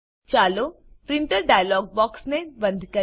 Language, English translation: Gujarati, Lets close the Printer dialog box